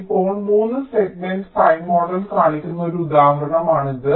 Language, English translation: Malayalam, ok, now this is an example where three segment pi model is shown